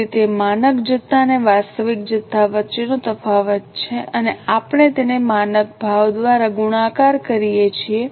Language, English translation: Gujarati, So, it is a difference between standard quantity and actual quantity and we multiply it by standard price